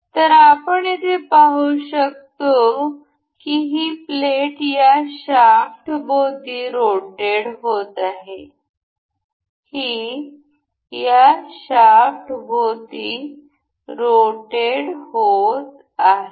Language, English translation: Marathi, the This plate is rotating about this shaft; this is rotating about this shaft